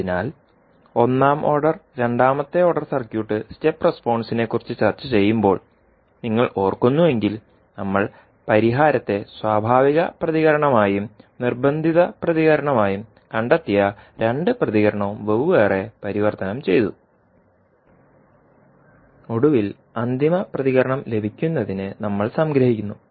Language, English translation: Malayalam, So, if you remember when we are discussing about the step response of maybe first order, second order circuit we converted the solution into natural response and the first response and the found both of the response separately and finally we sum then up to get the final response